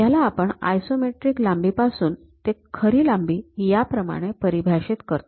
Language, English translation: Marathi, For example, if I am defining these are the isometric axis; I can measure this one as the true length